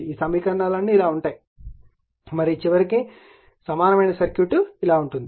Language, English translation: Telugu, All these equations will be like this and your and ultimately your equivalent circuit will be like this right